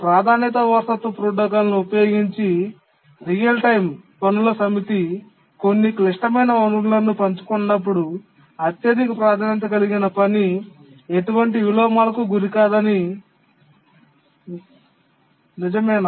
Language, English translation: Telugu, When a set up real time tasks share certain critical resources using the priority inheritance protocol, is it true that the highest priority task does not suffer any inversions